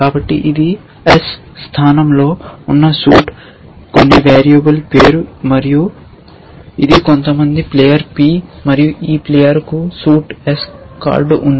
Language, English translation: Telugu, So, this is saying that the suit that is in place s, some variable name and this is some player p and this player has a card of suit s